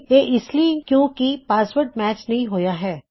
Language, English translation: Punjabi, This is because the passwords do not match